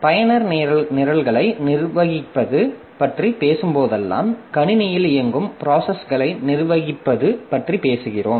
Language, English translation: Tamil, So, whenever we are talking about managing the user programs, we are essentially talking about managing the processes that are running in the system